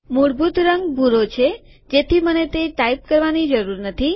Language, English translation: Gujarati, The default color is blue so I dont have to type it